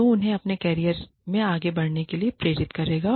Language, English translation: Hindi, That will, keep them motivated, to move further, in their careers